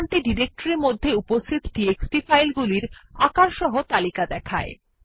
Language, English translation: Bengali, This command will give you a report on the txt files available in the directory along with its file sizes